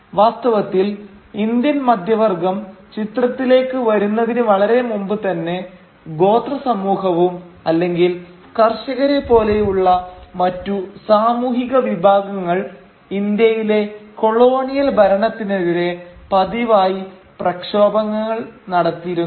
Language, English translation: Malayalam, Indeed, much before the Indian middle class came into the picture there were other social groups like the tribals for instance or the peasants who were regularly agitating against the colonial rule in India